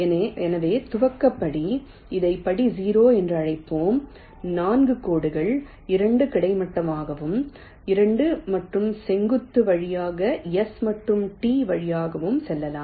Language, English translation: Tamil, so the initialization step, let us call it step zero: generate four lines, two horizontal and two vertical, passing through s and t